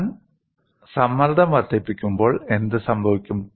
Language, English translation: Malayalam, When I increase the stress, what happens